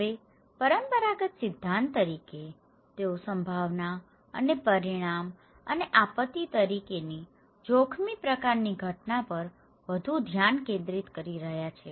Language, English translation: Gujarati, Now, as the conventional theory, they are focusing more on the probability and consequence and hazard kind of event as disaster